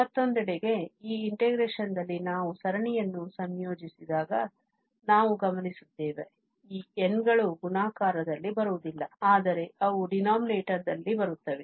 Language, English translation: Kannada, On the other hand, now in the integration we will observe that these n's when we integrate the series, they will not come in the multiplication but rather they will come in the denominator